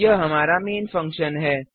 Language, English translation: Hindi, This is our main functions